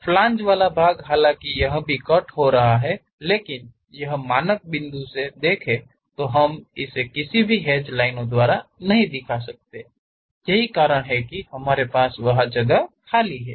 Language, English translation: Hindi, The flange portion, though it is slicing, but this standard convention is we do not represent it by any hatched lines; that is the reason we have that free space